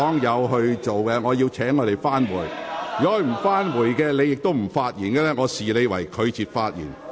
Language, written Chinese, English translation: Cantonese, 如果議員不返回座位，而你亦不發言，我會視你為拒絕發言。, If Members do not return to their seats and you do not speak I would consider that you refuse to speak